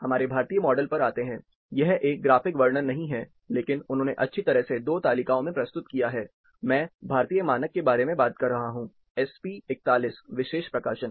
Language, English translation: Hindi, Coming to our Indian model, this is not a graphic representation, but they have nicely presented 2 tables, I am referring to, there of Indian standard, sp41 special publications